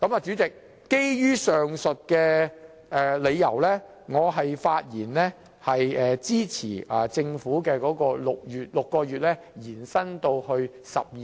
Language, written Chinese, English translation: Cantonese, 主席，基於所述理由，我發言支持政府建議把時效限制由6個月延長至12個月的修正案。, In view of the foregoing Chairman I have spoken in support of the Governments amendment proposing an extension of the time limit from 6 months to 12 months